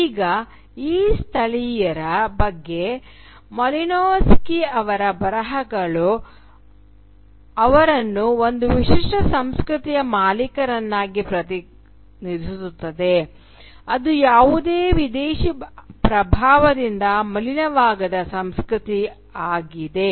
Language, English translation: Kannada, Now Malinowski’s writings on these natives represent them as the possessor of a distinct culture which has remained uncontaminated by any foreign influence